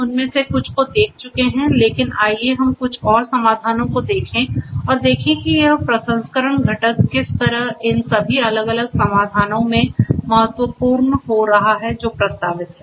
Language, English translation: Hindi, We have gone through quite a few of them, but let us look at a few more solutions and see how this processing component is becoming important in all of these different solutions that are being proposed